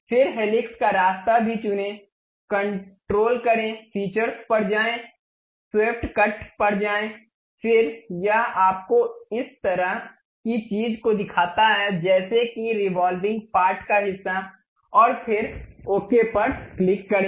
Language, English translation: Hindi, Then pick the helix path also, control, go to features, go to swept cut, then it shows you this entire thing something like revolving kind of portion, and then click ok